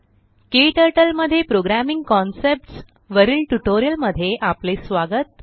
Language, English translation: Marathi, Welcome to this tutorial on Programming concepts in KTurtle